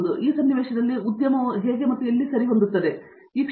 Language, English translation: Kannada, So, in this scenario, where do you see the industry fit in